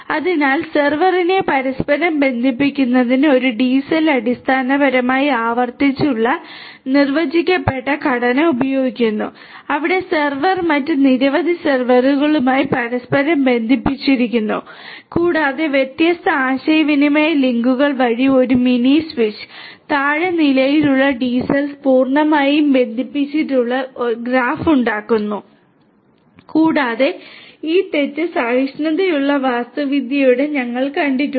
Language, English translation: Malayalam, So, a DCell basically uses a recursively defined structure to interconnect the server, where the server is interconnected to several other servers and a mini switch via different communication links and the low level DCells form a fully connected graph and there are these fault tolerant architecture that we have seen